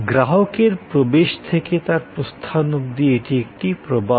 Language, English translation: Bengali, Right from the entrance of the customer and his final departure, it is a flow